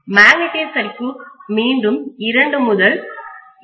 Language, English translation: Tamil, Magnetic circuit again should take anywhere between 2 to 2